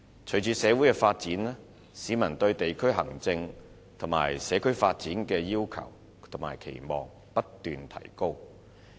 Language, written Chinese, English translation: Cantonese, 隨着社會發展，市民對地區行政及社區發展的要求及期望不斷提高。, With social development members of the public have increasingly higher demands and expectations for district administration and community development